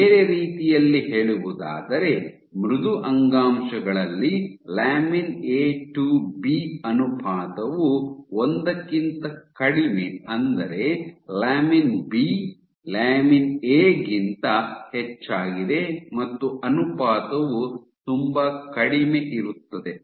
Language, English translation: Kannada, So, in other words in soft tissues your lamin A to B ratio is less than one which means lamin B is higher lamin A ratio is very low ok